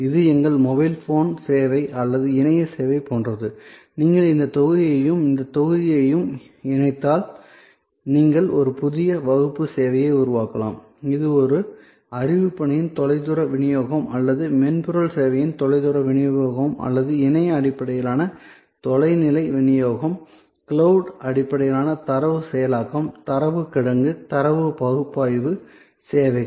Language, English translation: Tamil, So, therefore, this is like our mobile phone service or internet service and if you combine this block and this block, you can create a new class of service which is remote delivery of a knowledge work or remote delivery of software service or remote delivery of internet based, cloud based data processing, data warehousing, data analytic services